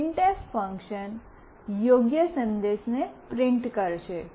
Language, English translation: Gujarati, printf function will print the appropriate message